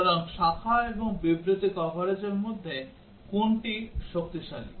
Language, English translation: Bengali, So, between the branch and statement coverage which is stronger